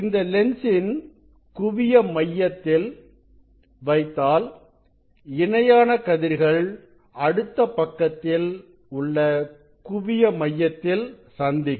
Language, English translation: Tamil, If you put focal point of this lens then this parallel rays will meet at the focal point, on the other side